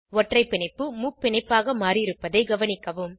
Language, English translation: Tamil, Observe that Single bond is converted to a triple bond